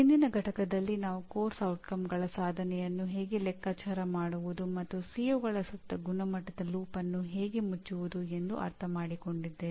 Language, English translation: Kannada, In the earlier unit we understood how to compute the attainment of Course Outcomes and close the quality loop around the COs